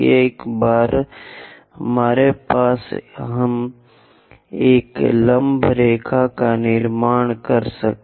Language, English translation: Hindi, Once we have that, we can construct a perpendicular line